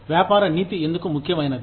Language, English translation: Telugu, Why is business ethics, important